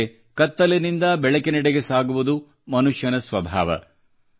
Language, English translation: Kannada, But moving from darkness toward light is a human trait